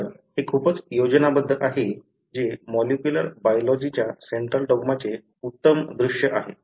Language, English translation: Marathi, So, this is pretty much the schematic which is the classic view of central dogma of molecular biology